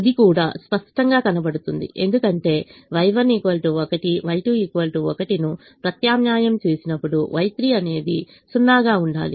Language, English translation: Telugu, that is also evident because when is substitute y one equal to one, y two equal to one, y three has to be zero